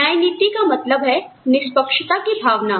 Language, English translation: Hindi, Equity means, a sense of fairness